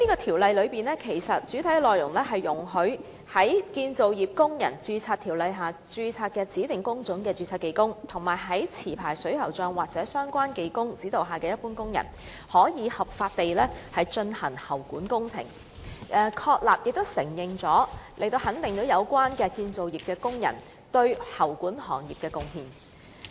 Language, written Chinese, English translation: Cantonese, 《條例草案》的主體內容，是有關容許在《建造業工人註冊條例》下註冊的指定工種的註冊技工及在持牌水喉匠或相關技工指導下的一般工人，可以合法地進行喉管工程，從而肯定有關的建造業工人對喉管行業的貢獻。, The main body of the Bill is about allowing skilled workers registered under the Construction Workers Registration Ordinance CWRO for the designated trade divisions and general workers under the instruction and supervision of a licensed plumber or relevant skilled worker to lawfully perform plumbing works thereby recognizing the contribution made to the plumbing industry by relevant construction workers